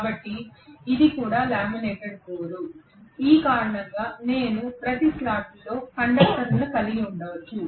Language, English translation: Telugu, So this is also a laminated core because of which I may have conductors put in each of these slots like this